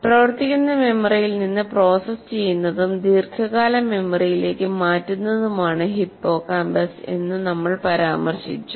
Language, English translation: Malayalam, Anyway, that is incidentally, we mentioned that hippocampus is the one that processes from working memory, transfers it to the long term memory